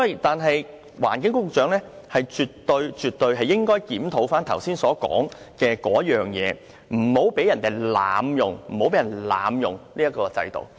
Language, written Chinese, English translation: Cantonese, 但是，環境局局長絕對應該檢討我剛才所說的事情，不要讓人濫用這個制度。, Anyway the Secretary for the Environment must have a look at the points I have mentioned so as to prevent any abuses of the land premium exemption